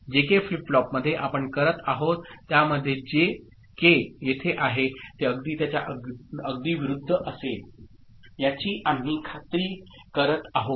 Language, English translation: Marathi, So, in JK flip flop what we are doing, we are just making sure that whatever is placed at J, K will be just opposite of it ok